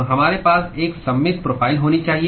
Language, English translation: Hindi, So, we should have a symmetric profile